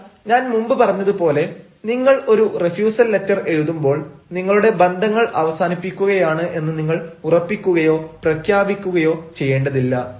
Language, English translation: Malayalam, but when you write the refusal letter, as i said, you need not ensure or you need not announce that the ties are going to be over